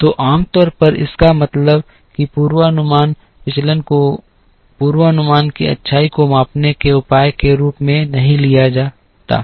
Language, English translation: Hindi, So, usually mean squared deviation is not taken as the measure for measuring the goodness of a forecast